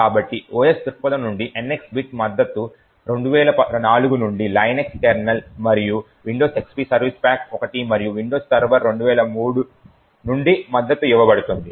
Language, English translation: Telugu, So, the NX bit support from the OS perspective has been supported from the Linux kernels since 2004 and also, Windows XP service pack 1 and Windows Server 2003